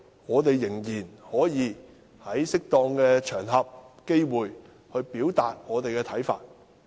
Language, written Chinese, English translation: Cantonese, 我們仍可在適當的場合和機會表達自己的看法。, We can still express our views on suitable occasions and when suitable opportunities arise